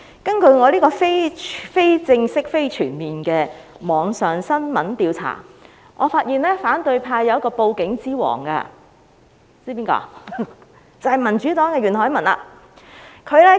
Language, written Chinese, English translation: Cantonese, 根據我就網上新聞進行的非正式、非全面調查，我發現反對派有一位"報警之王"，知道他是誰嗎？, According to my informal and non - comprehensive researches of online news I discover that there is a King of reporting to the Police in the opposition camp . Do you know who he is?